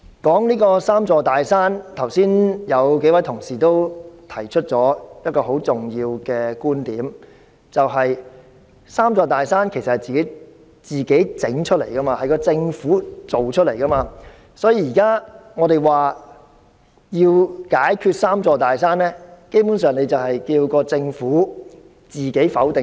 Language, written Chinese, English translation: Cantonese, 關於這"三座大山"，有數位同事剛才也提出了一個很重要的觀點，就是這"三座大山"是政府製造出來的，所以當我們說要解決"三座大山"，基本上是叫政府自我否定。, Regarding the three big mountains several Honourable colleagues have brought forth an important viewpoint just now that is the three big mountains are created by the Government . Hence when we talk about overcoming the three big mountains we are actually asking the Government to overturn its decisions